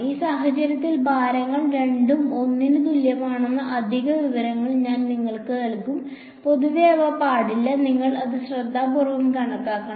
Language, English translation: Malayalam, In this case I will just give you the extra information that the weights are both equal to 1, in general they need not be and you have to calculate it carefully